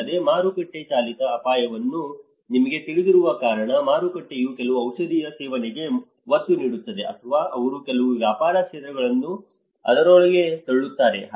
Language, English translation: Kannada, Also, the market driven risk because you know the market also emphasizes on consumption of certain drugs or they push a certain business sectors into it